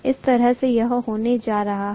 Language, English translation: Hindi, This is how it is going to be, right